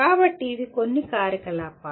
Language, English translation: Telugu, So these are some of the activities